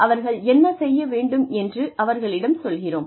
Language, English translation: Tamil, We tell them, what to do